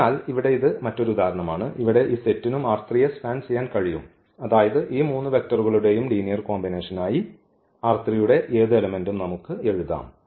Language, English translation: Malayalam, So, here this is another example where we will see that this set can also span R 3; that means, any element of this R 3 we can write down as a linear combination of these three vectors